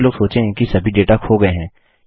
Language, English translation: Hindi, Most people would think all that data has been lost now